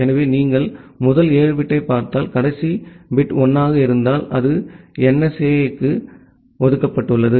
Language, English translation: Tamil, So, if you look into the first seven bit, if the last bit is 1, it is reserved for NSAP